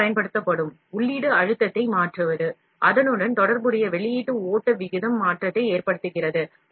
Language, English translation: Tamil, Changing the input pressure applied to the material, results in a corresponding output flow rate change